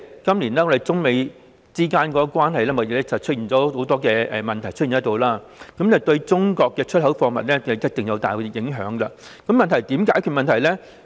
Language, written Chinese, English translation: Cantonese, 今年中美貿易關係出現很多問題，對中國出口貨物一定大有影響，問題是我們應該怎樣做？, There have been many hiccups in the China - US trade relationship this year . This has dealt a great blow to the export of China . The point is what we should do